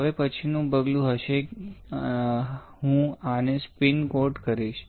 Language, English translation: Gujarati, Now the next step would be I will spin coat this one